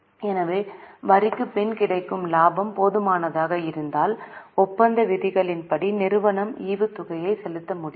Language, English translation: Tamil, So if the profit after tax is sufficient, the company will be able to pay the dividend as per the contracted terms